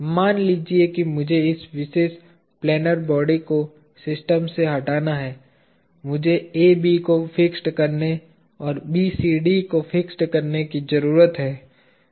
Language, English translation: Hindi, Supposing I have to remove this particular planar body from the system, I need to fix AB and fix BCD